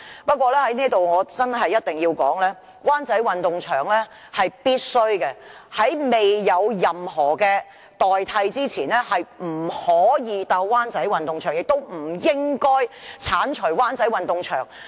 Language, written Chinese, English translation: Cantonese, 不過，我在這裏一定要說明，灣仔運動場是必須的，在未有任何代替設施前，不能夠觸及灣仔運動場，亦不應該剷除灣仔運動場。, However I have to make it clear that the Wan Chai Sports Ground has to remain in service . Before identifying any replacement facilities the Wan Chai Sports Ground should not serve other purpose or be demolished